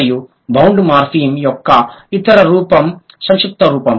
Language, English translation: Telugu, And the other form of bound morphem is the contractable form